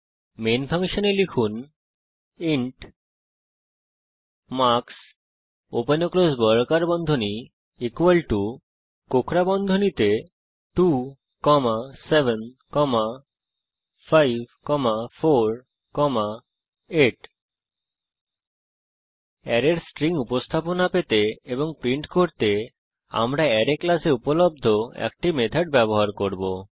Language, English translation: Bengali, Inside the main function,type int marks open and close square brackets equal to within brackets 2, 7, 5, 4, 8 Now we shall use a method available in the Arrays class to get a string representation of the array and print it